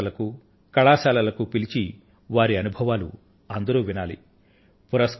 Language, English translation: Telugu, These people should be invited to schools and colleges to share their experiences